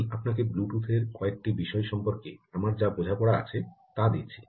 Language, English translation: Bengali, i just give you my understanding of several things with respect to bluetooth itself